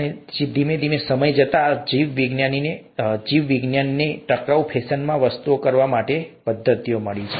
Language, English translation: Gujarati, And, over time, biology has found methods to do things in a sustainable fashion